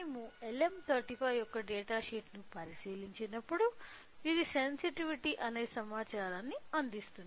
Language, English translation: Telugu, So, when we look into the data sheet of LM35 it provides the information of called sensitivity